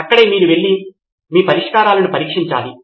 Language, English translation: Telugu, That is where you need to be going and testing your solutions